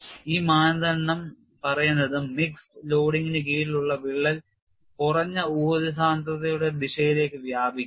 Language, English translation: Malayalam, And this criterion says, crack under mixed loading will extend in the direction of minimum strain energy density